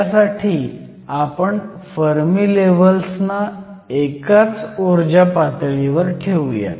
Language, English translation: Marathi, So, I will put the Fermi levels at the same energy levels